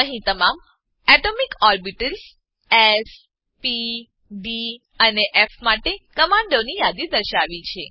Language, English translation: Gujarati, Here is a list of commands for all atomic orbitals (s, p, d, and f)